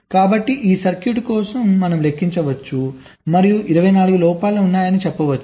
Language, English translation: Telugu, right, so for this circuit we can count and tell that there are twenty four stuck at faults